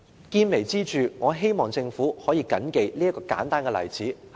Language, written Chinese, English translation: Cantonese, 見微知著，我希望政府能夠緊記這個簡單的例子。, As one tiny clue reveals the general situation I hope the Government can remember this simple example